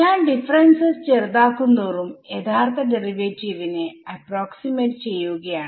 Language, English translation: Malayalam, As I make the dis the differences more and I mean smaller and smaller I am going to approximate the actual derivative right